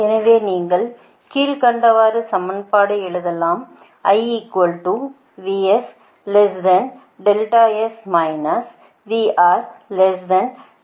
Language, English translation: Tamil, and in this case you have to write few equations